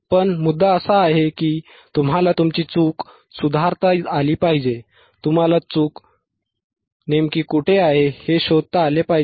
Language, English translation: Marathi, So, ah, bBut the point is, you should be able to rectify your mistake, you should be able to find it find out where exactly the fault is right